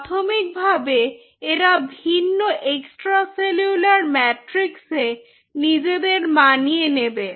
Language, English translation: Bengali, so these cells were adapting to different extracellular matrix at the initially